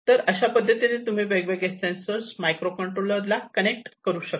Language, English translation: Marathi, So, this is how you connect the different sensors you connect to the microcontrollers